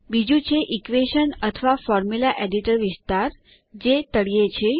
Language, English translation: Gujarati, The second is the equation or the Formula Editor area at the bottom